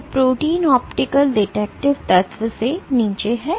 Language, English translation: Hindi, So, proteins are below the optical detective element